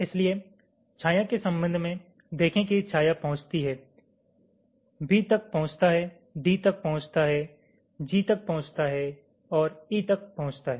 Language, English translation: Hindi, so with respect to the shadow, see as shadow reaches where, reaches b, reaches d, reaches g and reaches e